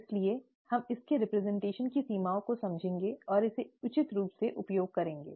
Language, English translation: Hindi, Therefore we will realize the limitations of its representation, and use it appropriately